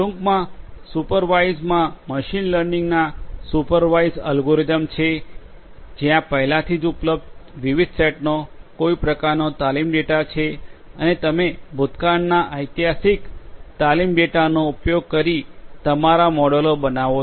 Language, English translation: Gujarati, In supervised in a nutshell I can tell you that supervised algorithms of machine learning are the ones where there is some kind of training data of different sets already available and you use that past historical training data in order to come up with your models